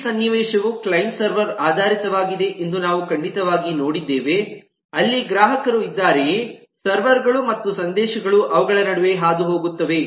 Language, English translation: Kannada, certainly, we have seen that the whole scenario is a client server based, whether there are clients, there are servers and messages passing between them